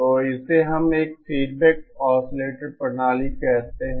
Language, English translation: Hindi, So this is what we call a feedback oscillator system